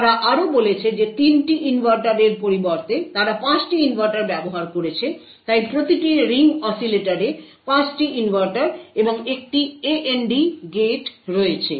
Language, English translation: Bengali, Further, they also said that instead of 3 inverters they had used 5 inverters, so one each ring oscillator had 5 inverters and an AND gate